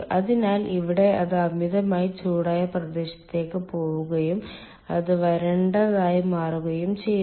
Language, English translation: Malayalam, so here it goes in the superheated region and it becomes dry